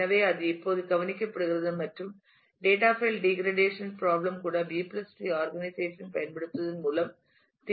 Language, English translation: Tamil, So, that is now taken care of and even the data File degradation problem can also be solved by using B + T organization